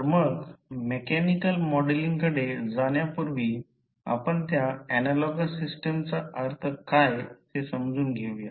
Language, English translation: Marathi, So, before proceeding to the mechanical modeling, let us understand what the analogous system means